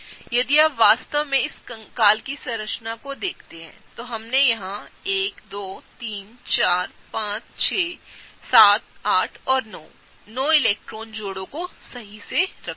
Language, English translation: Hindi, If you really see this skeleton structure, we have taken care of 1, 2, 3, 4, 5, 6, 7, 8, 9 electron pairs, right